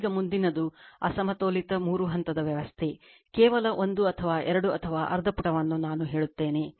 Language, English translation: Kannada, Now, next is unbalanced three phase system, just one or two or just half page I will tell you